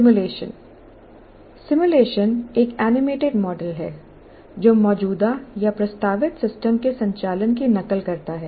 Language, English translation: Hindi, A simulation is an animated model that mimics the operation of an existing or proposed system